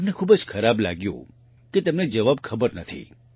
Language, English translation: Gujarati, He felt very bad that he did not know the answer